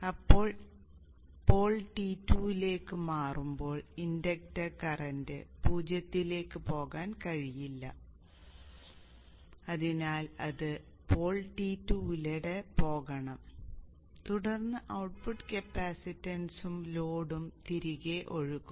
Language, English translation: Malayalam, Then when the pole is switched to T2 the inductor current cannot go to zero so it has to go through pole T2 and then the output capacitance and the load and flow back so the inductor will discharge the magnetic energy to the output